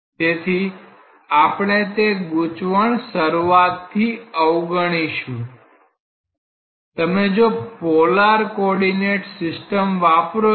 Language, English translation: Gujarati, So, we will try to avoid that confusion from the very beginning; say if you are using a polar coordinate system